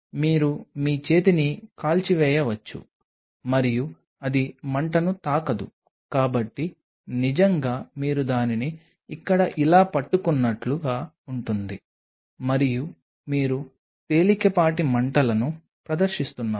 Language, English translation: Telugu, Because you may burn your hand and just flame it do not touch the flame really it is kind of you hold it here like this, and just you are doing a mild flaming doing a mild flaming